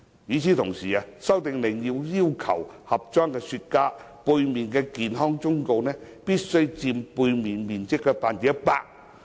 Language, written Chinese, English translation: Cantonese, 與此同時，《修訂令》要求盒裝雪茄產品背面的健康忠告圖像必須佔包裝背面面積的 100%。, Meanwhile the Amendment Order requires that the graphic health warning must cover 100 % of the back side of the containers of cigar products